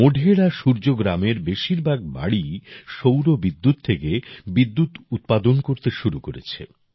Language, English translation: Bengali, Most of the houses in Modhera Surya Gram have started generating electricity from solar power